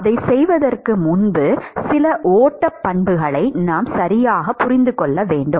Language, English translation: Tamil, Before we do that, we need to understand some of the flow properties right